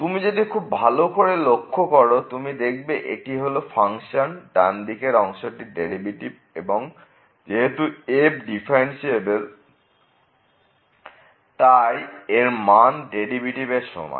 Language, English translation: Bengali, So, if you take a close look at this one this is the right hand derivative of the function and since is differentiable this will be equal to the derivative of the function